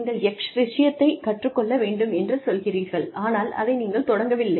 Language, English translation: Tamil, You say, I want to learn X, and, they do not start